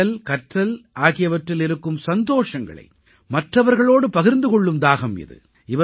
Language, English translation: Tamil, This is the passion of sharing the joys of reading and writing with others